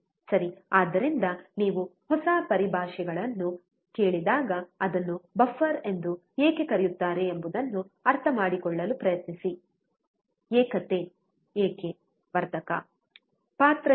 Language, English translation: Kannada, Right, so, when you listen to new terminologies, try to understand why it is called buffer, why unity gain amplifier, what is the role